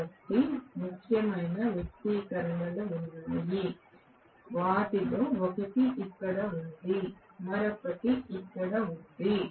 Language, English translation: Telugu, So, there are some important expressions one of them is here, the other one is here